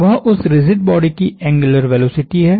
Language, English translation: Hindi, That is the angular velocity of that rigid body